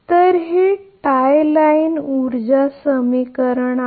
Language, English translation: Marathi, So, this is the tie line power equation